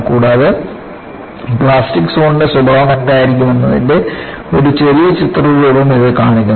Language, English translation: Malayalam, And, this shows a small schematic of what would be the nature of the plastic zone